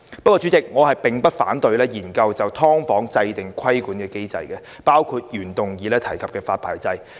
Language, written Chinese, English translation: Cantonese, 然而，主席，我並不反對就"劏房"研究制訂規管機制，包括原議案提及的發牌制度。, Nevertheless President I do not oppose a study on the establishment of a regulatory mechanism for subdivided units including the licensing system stated in the original motion